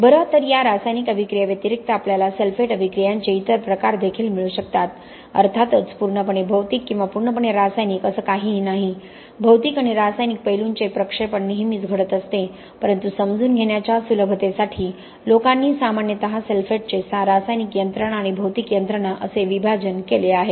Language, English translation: Marathi, Alright, so apart from these chemical attacks we may also get other forms of sulphate attack of course there is nothing purely physical or purely chemical, there is always an interpolate of physical and chemical aspects happening but for the ease of understanding people have generally divided sulphate attack into the chemical mechanisms and the physical mechanisms